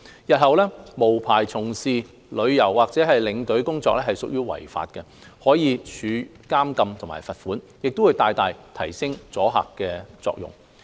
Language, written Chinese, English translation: Cantonese, 日後，無牌從事導遊或領隊工作屬於違法，可處監禁和罰款，將會大大提升阻嚇作用。, In future a person working as a tourist guide or tour escort without a licence will commit an offence liable to punishment of imprisonment and a fine upon conviction which will greatly increase the deterrent effect